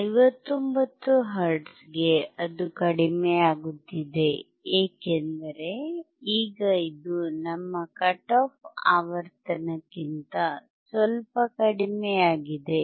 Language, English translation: Kannada, If I go for 159 hertz, it is decreasing, because now this is slightly below our cut off frequency